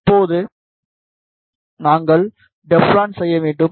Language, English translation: Tamil, Now, we need to make the Teflon